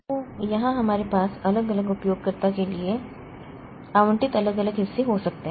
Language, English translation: Hindi, So, here we can have different portions allocated to different users